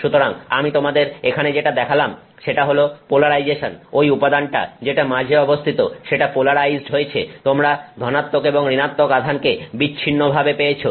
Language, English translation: Bengali, So, what I have shown you here is polarization, that material that was in the middle got polarized, it got plus and minus charges separated out